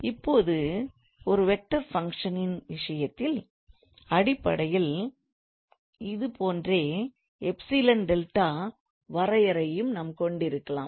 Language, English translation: Tamil, Now in case of function of vector functions basically we can have the similar epsilon delta definition as well